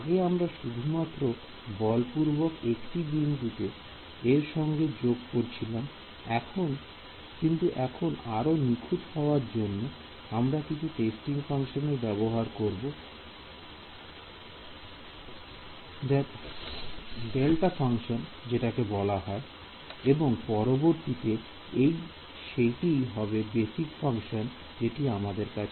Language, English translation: Bengali, Previously, we were enforcing this at just one point; now, what we say is to get better accuracy I am going to use a testing function other than a delta function and that is the same as a basis function that we here